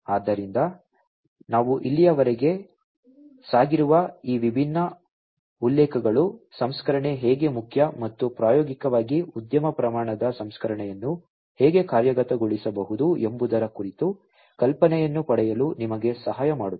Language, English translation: Kannada, So, these different references some of which we have gone through so, far will help you to get an idea about how processing is important and how industry scale processing could be implemented, in practice